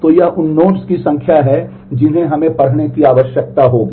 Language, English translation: Hindi, So, this is a number of nodes the number of blocks that we will need to read